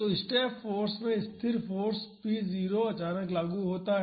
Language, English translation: Hindi, So, in step force constant force p naught is suddenly applied